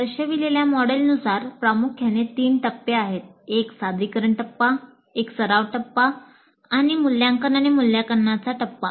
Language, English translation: Marathi, Primarily there are three phases, a presentation phase, a practice phase, assessment and evaluation phase